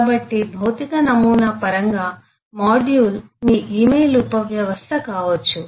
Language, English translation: Telugu, so, in terms of a physical model, a module could be your email subsystem